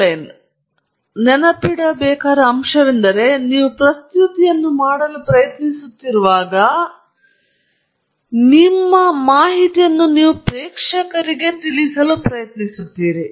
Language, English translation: Kannada, Now, the point to remember or the point to keep in mind is that when you are trying to make a presentation, you are trying to convey some information to the audience